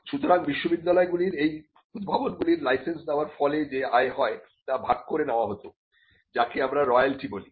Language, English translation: Bengali, So, the universities were required to share the income that comes out of licensing these inventions, what we called royalty